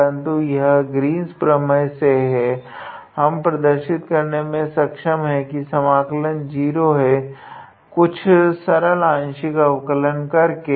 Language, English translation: Hindi, But, it is just that taking help of Green’s theorem, we can be able to show that the value of the integral is 0 by doing some simple partial derivatives